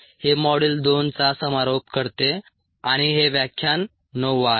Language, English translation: Marathi, this concludes ah, module two and this is lecture nine